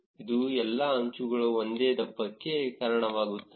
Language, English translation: Kannada, This will cause all the edges to be of the same thickness